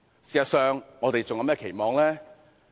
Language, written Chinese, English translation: Cantonese, 事實上，我們還能有甚麼期望呢？, Actually what expectations can we have?